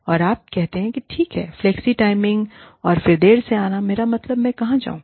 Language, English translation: Hindi, And, you say, okay, flexi timings, and then late coming, i mean, where do i go